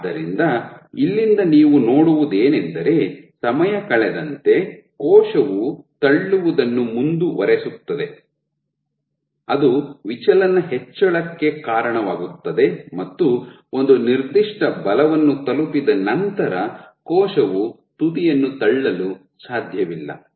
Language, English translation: Kannada, So, from here as of, what you see is as time goes on the cell keeps pushing and pushing which leads to increase of the deflection and once a certain force is reached the cell can’t push the tip anymore